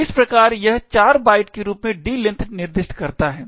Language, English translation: Hindi, So, thus it specifies the D length as 4 bytes